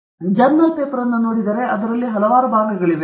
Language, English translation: Kannada, So now, if you look at a journal paper there are various parts to it